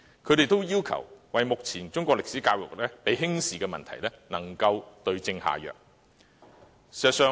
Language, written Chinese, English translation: Cantonese, 他們要求當局就目前中史教育被輕視的問題對症下藥。, They all demanded the authorities to find the right remedy for the present problem of Chinese history education being belittled